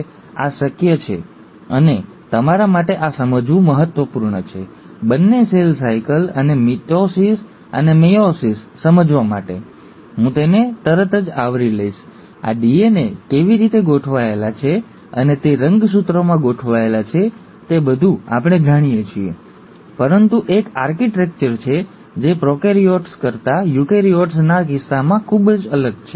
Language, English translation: Gujarati, Now, this is possible and it's important for you to understand this, for understanding both, cell cycle and mitosis and meiosis, so I will cover it right away, is how are these DNA arranged, and they are arranged into chromosomes is all what we know, but there’s an architecture which is very different in case of eukaryotes than in prokaryotes